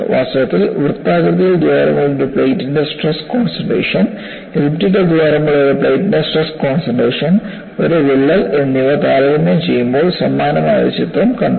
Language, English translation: Malayalam, In fact, we had seen earlier, a picture similar to this, while comparing stress concentration of a plate with a circular hole, stress concentration of a plate with an elliptical hole and a crack